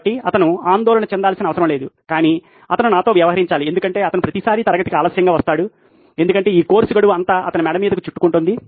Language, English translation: Telugu, So, that’s one thing that he does not have to worry but he has to deal with me because he comes late to class every time, because all these course deadline piling on his neck